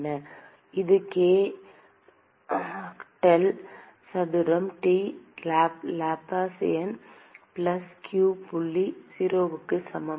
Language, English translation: Tamil, It is the k del square T, Laplacian plus q dot equal to 0